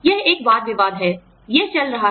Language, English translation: Hindi, That is a debate, that is going on